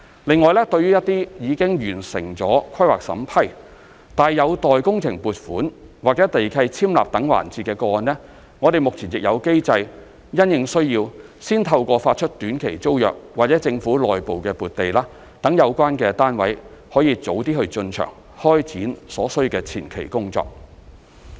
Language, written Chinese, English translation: Cantonese, 另外，對於一些已完成規劃審批，但有待工程撥款或地契簽立等環節的個案，我們目前亦有機制因應需要，先透過發出短期租約或政府內部撥地，讓有關單位可以早點進場開展所需的前期工作。, On the other hand for cases where planning permission has been given but project funding or land lease execution and so on are pending we have put in place a mechanism to allow the party concerned on a need basis to enter the site earlier and commence advance work required by granting a short - term tenancy or government internal land grant